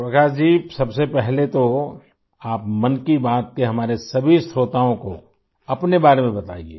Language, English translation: Hindi, Prakash ji, first of all tell about yourself to all of our listeners of 'Mann Ki Baat'